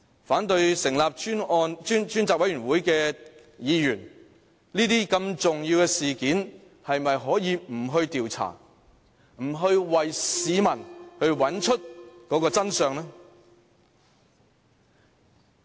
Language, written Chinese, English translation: Cantonese, 反對成立專責委員會的議員，面對這宗如此重要的事件，是否可以不去調查，不去為市民找出真相？, Members who oppose the setting up of a select committee do you think you should refrain from conducting an investigation and avoid finding out the truth for the people when we are facing a matter of such importance?